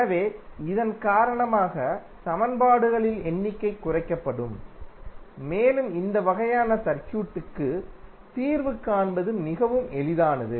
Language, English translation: Tamil, So, because of this the number of equations would be reduced and it is much easier to solve this kind of circuit